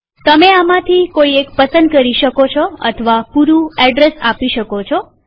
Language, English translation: Gujarati, You may choose one of these or type in the complete address and press enter